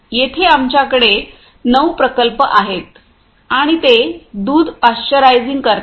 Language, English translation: Marathi, Here we have a nine plants and a which we are pasteurising milk